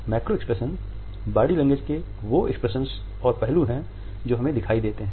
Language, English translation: Hindi, Macro expressions are those expressions and aspects of body language which are visible to us